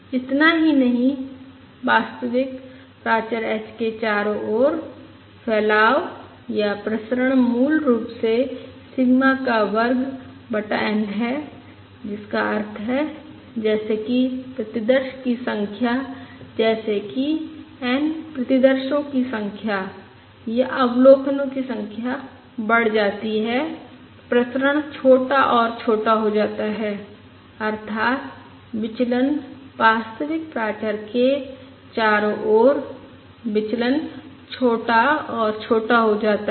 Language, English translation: Hindi, Not only that, the spread or the variance around the true parameter h is basically sigma square divided by n, which means, as the variance, as n, the number of samples or the number of observations increases, the variance become smaller and smaller